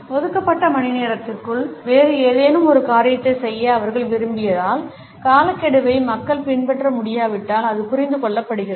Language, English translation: Tamil, It is understood if people are not able to follow the deadlines because they have preferred to do some other thing within the allotted hour